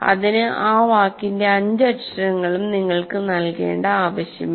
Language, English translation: Malayalam, You don't require all the five letters of that word